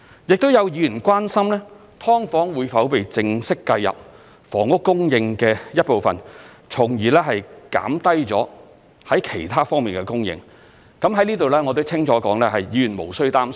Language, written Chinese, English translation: Cantonese, 亦有議員關心"劏房"會否被正式計入房屋供應的一部分，從而減低了在其他方面的供應，在此我可以清楚地說，議員無須擔心。, Some Members expressed concern over whether subdivided units would be formally included as part of the housing supply thus reducing the supply of other housing . Here I can clearly say that Members need not worry